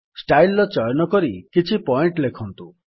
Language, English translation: Odia, Choose a style and write few points